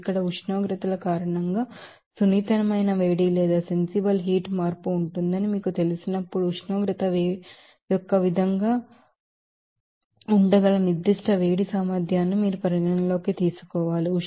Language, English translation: Telugu, Now, when you know there will be sensitive heat change because of the temperatures are you know change that you have to consider the specific heat capacity that may be a function of temperature